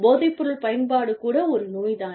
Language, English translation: Tamil, Alcoholism like drug use, is a disease